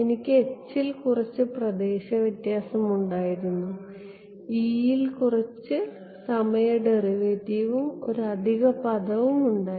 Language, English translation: Malayalam, I had a some space difference in H, some time derivative in E and an additional term